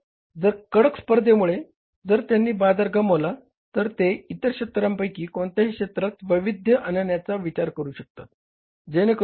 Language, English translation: Marathi, So, if they lose the market because of the stiff competition, then which are the other areas they can think of diversifying